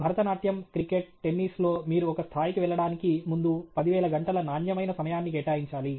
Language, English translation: Telugu, Bharatanatyam, cricket, tennis whatever, you have to put in 10,000 hours of quality time before you can make a mark okay